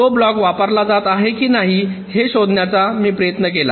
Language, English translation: Marathi, i tried to find out whether or not that block is being used